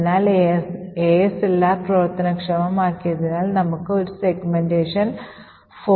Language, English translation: Malayalam, So, because ASLR is enabled therefore we get a segmentation fault